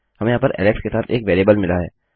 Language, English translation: Hindi, We have got a variable here with Alex